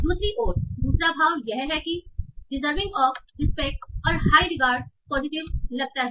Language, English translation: Hindi, On the other hand, the second sense, deserving of respect or high regard, it looks like positive